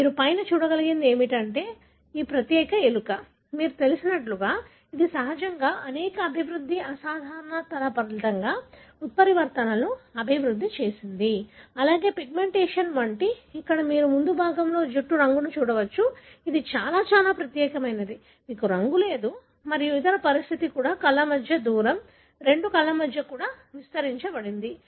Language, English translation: Telugu, So, what you can see on the top is that this particular mouse, you know, this naturally developed a mutation resulting in many developmental abnormality, as well as pigmentation you can see here in the fore head that the hair colour, it is very very unique, you do not have the colouration and also the other condition is the distance between the eyes, between the two eyes also is enlarged